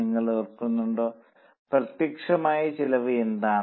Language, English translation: Malayalam, Do you remember what is direct cost